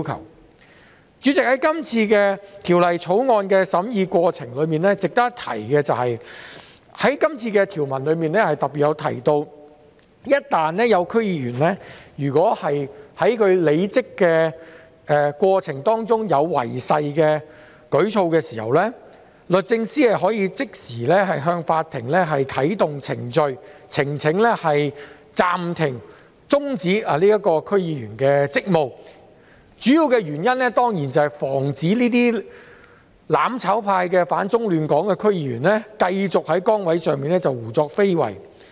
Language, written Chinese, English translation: Cantonese, 代理主席，就《條例草案》的審議過程，值得一提的是，條文特別提到一旦有區議員在履職過程中作出違誓的舉措，律政司司長可即時向法庭申請啟動程序，暫停和終止該名區議員的職務，主要原因當然是為了防止這些"反中亂港"的"攬炒派"區議員繼續在崗位上胡作非為。, Deputy President speaking of the deliberation of the Bill it should be noted that the provisions specifically propose to empower the Secretary for Justice SJ to bring proceedings against a DC member to suspend his duty in the course of service upon his breach of oath . This is of course mainly to stop the anti - China and destabilizing members advocating mutual destruction to stay in office and cause troubles